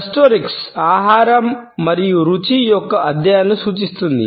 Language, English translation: Telugu, Gustorics represents studies of food and taste